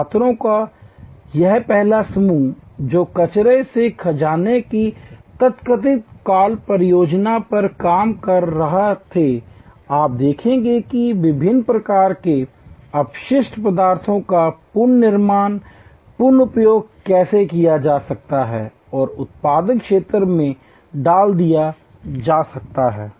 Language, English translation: Hindi, This first group of students who were working on the so call project of treasure from trash, you will looking at how waste material of different types can be reused and put to productive area